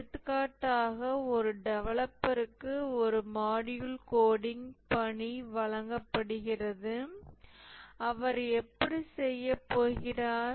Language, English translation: Tamil, For example, a developer is given the task of coding a module